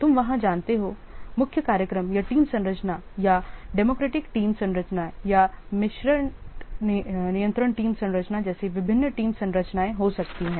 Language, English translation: Hindi, You know that there could be different team structures like chief programmer team structure or democratic team structure or mixed control team structure